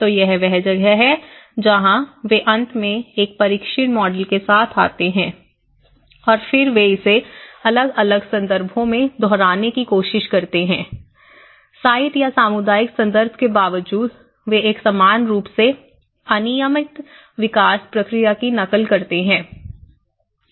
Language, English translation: Hindi, So, that is where, so finally, they end up and coming up with a tested model and then they try to replicate it in different contexts irrespective of the site context, irrespective of the community context they end up replicating a uniform unstandardized development process